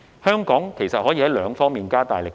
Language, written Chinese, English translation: Cantonese, 香港其實可以在兩方面加大力度。, Hong Kong can actually step up its efforts in two areas